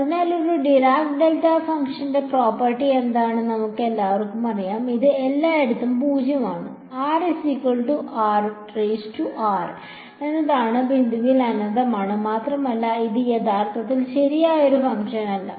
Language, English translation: Malayalam, So, we all know what are the what is the property of a Dirac delta function, it is 0 everywhere and infinity at the point at r is equal to r prime, and it is not actually a proper function right